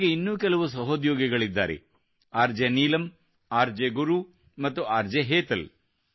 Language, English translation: Kannada, Her other companions are RJ Neelam, RJ Guru and RJ Hetal